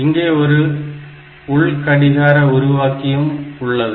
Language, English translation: Tamil, And there are internal clock generator